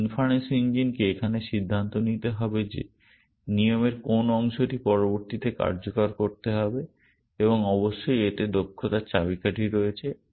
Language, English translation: Bengali, This inference engine here has to decide which instance of the rule to execute next and therein of course, lies the key to efficiency